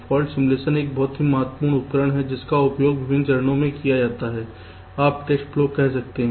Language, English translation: Hindi, fault simulation is an very important tool which is used in various stages during the you can say test flow